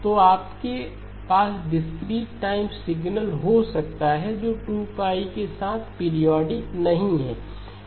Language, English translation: Hindi, So now can you have a discrete time signal which is not periodic with 2pi